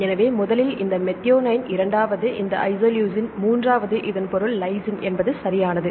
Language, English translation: Tamil, So, first is this methionine second is this isoleucine third this means lysine right